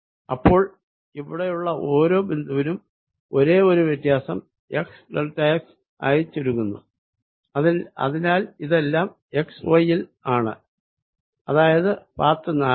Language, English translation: Malayalam, so for each point here, the only difference is that x is reduced by delta x, so it's at x and y path four